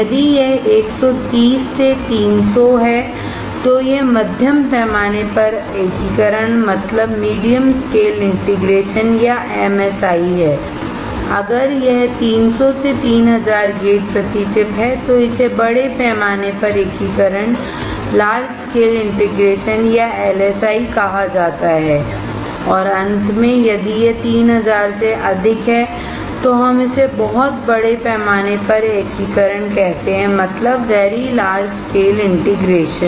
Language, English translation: Hindi, If it is 130 to 300, it is medium scale integration or MSI, if it is 300 to 3000 gates per chip, it is called large scale integration or LSI and finally, if it is more than 3000, then we call it very large scale integration